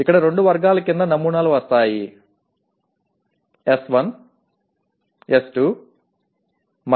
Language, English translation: Telugu, So the samples will come under two categories here; S1, S2, S3